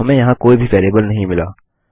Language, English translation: Hindi, We have got no variable here